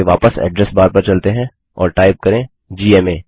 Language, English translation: Hindi, Lets go back to the address bar and type gma